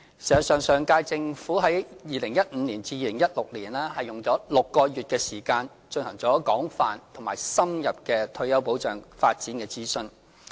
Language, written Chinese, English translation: Cantonese, 實際上，上屆政府於2015年至2016年間，用了6個月的時間進行了廣泛而深入的退休保障發展諮詢。, Actually during the period between 2015 and 2016 the Government of the last term spent six months conducting a comprehensive and in - depth consultation on the development of retirement protection